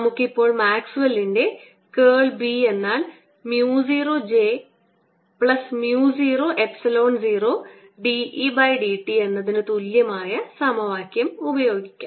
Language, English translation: Malayalam, let us now use the maxwell's equation which says that curl of b is mu naught j plus mu naught, epsilon naught, d e d t